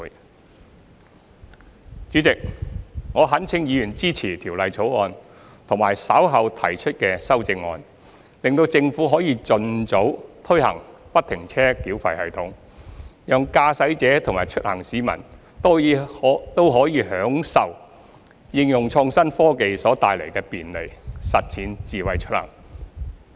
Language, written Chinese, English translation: Cantonese, 代理主席，我懇請議員支持《條例草案》和稍後提出的修正案，使政府可以盡早推行不停車繳費系統，讓駕駛者和出行市民都可享受應用創新科技所帶來的便利，實踐"智慧出行"。, Deputy President I implore Members to support the Bill and the amendments which will be proposed later so that the Government can implement FFTS as soon as possible thereby enabling motorists and the commuting public to enjoy the convenience brought by the application of innovative technology and to realize Smart Mobility